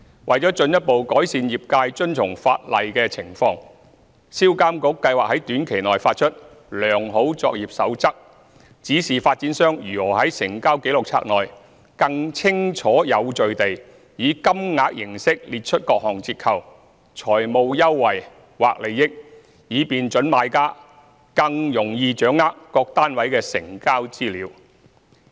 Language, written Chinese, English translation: Cantonese, 為進一步改善業界遵從法例的情況，銷監局計劃在短期內發出"良好作業守則"，指示發展商如何在成交紀錄冊內，更清晰有序地以金額形式列出各項折扣、財務優惠或利益，以便準買家更易掌握各單位的成交資料。, On further enhancing the trades compliance with the Ordinance SRPA intends to issue a Best Practice for the Trade in the near future illustrating how a developer should list various discount financial advantage or benefit in monetary terms in the Register of Transactions in a clear and orderly manner so that prospective purchasers could have a better grasp of the transaction information of individual units